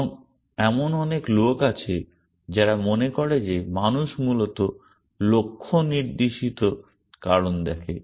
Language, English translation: Bengali, And there are people, a lot of people who feel that human beings by and large are goal directed reasons